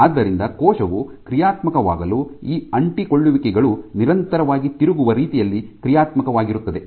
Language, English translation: Kannada, So, again once again for the cell to be dynamic these adhesions are also dynamic in a way that they constantly turn over